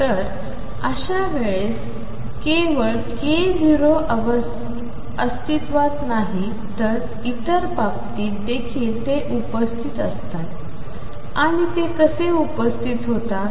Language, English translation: Marathi, So, not only k naught is present in such case other case also present, and how are they present